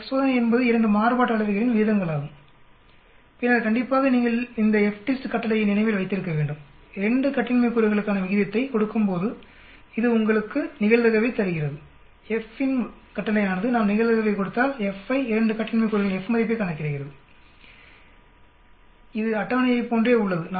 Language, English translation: Tamil, F test is nothing but ratios of the 2 variances and then of course, you remember this FDIST command it gives you the probability given the ratio for 2 degrees of freedom and FINV command when you give the probability it will calculate the F, F value for the 2 degrees of the freedom this is exactly like table